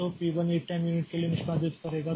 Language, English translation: Hindi, So, P 2 will execute for 1 time unit now